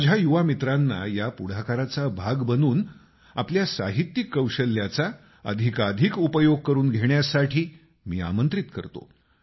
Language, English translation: Marathi, I invite my young friends to be a part of this initiative and to use their literary skills more and more